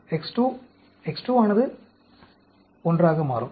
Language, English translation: Tamil, X 2, X 2 will become 1